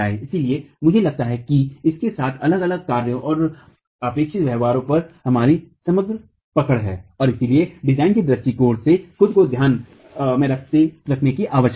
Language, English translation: Hindi, So, I think with this we have an overall hold on the different actions and expected behaviors and therefore what needs to be taken care of from the design perspective itself